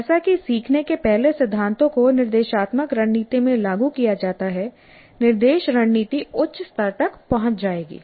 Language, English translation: Hindi, As more of the first principles of learning get implemented in the instructional strategy, the instructional strategy will reach higher levels